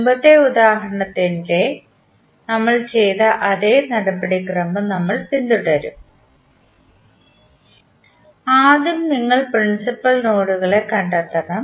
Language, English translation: Malayalam, You will follow the same procedure what we did in the previous example, you have to first find out the principal nodes